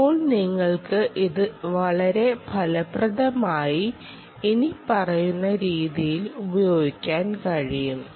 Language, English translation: Malayalam, now you can use this very effectively in the following way